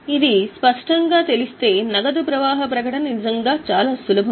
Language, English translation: Telugu, Once this is clear, making of cash flow statement is really very simple